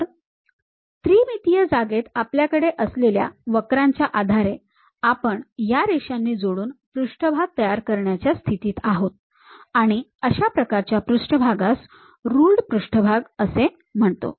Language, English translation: Marathi, So, based on the curves what we have in 3 dimensional space we were in a position to construct a surface joining by these lines and that kind of surfaces what we call ruled surfaces